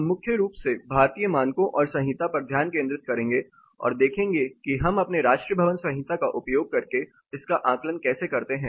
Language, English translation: Hindi, We will primarily focus on the Indian standards and codes and how we assess it using our national building code